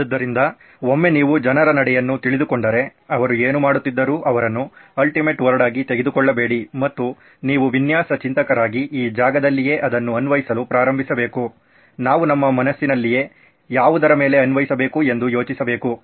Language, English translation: Kannada, So once you get to know the people who are going through, whatever they are going through, don’t take them as the ultimate word and that’s where you start but you can apply as design thinkers, we need to apply our own mind on what is going on